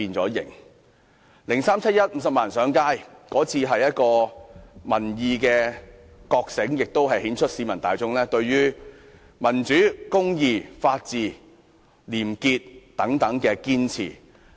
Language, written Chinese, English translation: Cantonese, 2003年的七一遊行有50萬人上街，那次是民意的覺醒，亦顯示了市民大眾對於民主、公義、法治、廉潔的堅持。, The 1 July march in 2003 during which 500 000 people took to the streets signified the awakening of public opinion and showed the publics determination to hold fast to democracy justice the rule of law and probity